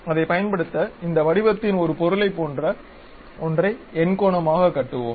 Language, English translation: Tamil, To use that let us construct something like an object of this shape which is octagon